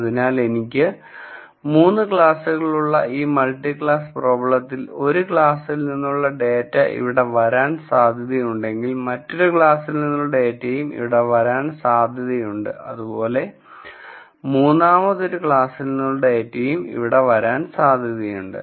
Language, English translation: Malayalam, So, in this multi class problem which is I have 3 classes, if I could have data belonging to one class falling here data belonging to another class falling here and let us say the data belonging to the third class falling here for example